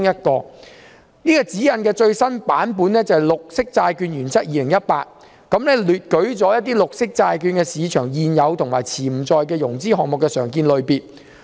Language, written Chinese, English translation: Cantonese, 這套指引的最新版本是《綠色債券原則2018》，當中列舉了綠色債券市場現有及潛在融資項目的常見類別。, Its latest version GBP 2018 provides an indicative list of the most commonly used types of projects supported by and expected to be supported by the green bond market